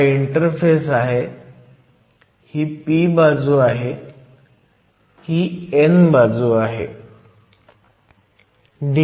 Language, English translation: Marathi, So, this is my p side that is my n side to form my p n junction